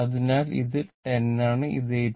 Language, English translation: Malayalam, So, that means, this one is 10 and this one is 8